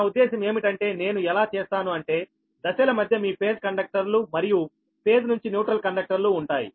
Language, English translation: Telugu, i mean, i would make it like that, that between the phases you have to all the mutual phase conductors, as well as phase to neutral conductors